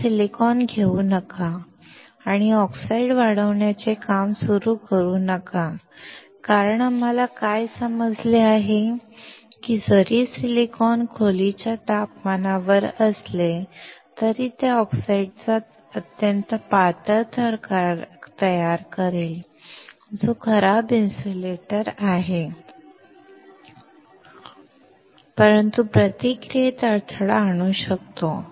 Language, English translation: Marathi, Do not directly take a silicon and start working on growing of oxide because what we understand is that even if the silicon is at room temperature, it will form extremely thin layer of oxide, which is a poor insulator but can impede the process